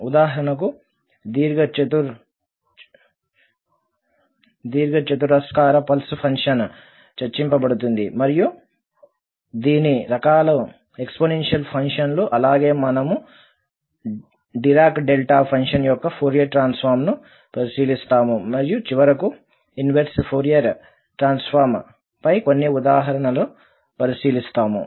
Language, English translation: Telugu, So, for example, the rectangular pulse function will be discussed and also the some forms of the exponential functions as well as we will consider the Fourier Transform of Dirac Delta function and finally, some examples on inverse Fourier Transforms